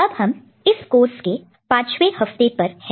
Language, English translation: Hindi, We are in week 5 of this particular course